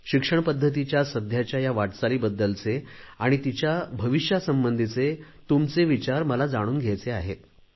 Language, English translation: Marathi, So I would like to know your views concerning the current direction of education and its future course